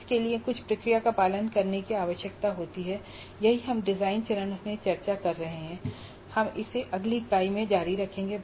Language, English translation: Hindi, That is what we have been discussing in the design phase and we will continue with this in the next unit